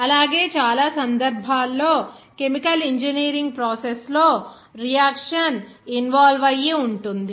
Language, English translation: Telugu, Also, in most of the cases that in chemical engineer processes, of course, the reaction will be involved